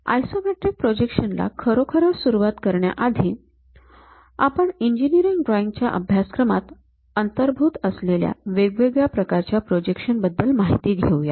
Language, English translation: Marathi, Before really looking at isometric projections, we will see what are these different kind of projections involved in engineering drawing course